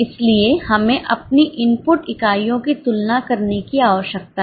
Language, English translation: Hindi, So, what we need to compare are input units